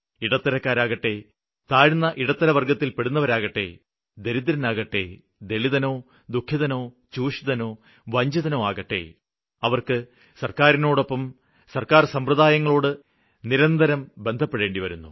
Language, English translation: Malayalam, Be it someone from middle class, lower middle class, dalit, exploited, victim or deprived, they have to continuously be in touch with the government or its various organizations